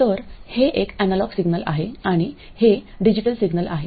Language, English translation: Marathi, So this is an analog signal and this is a digital signal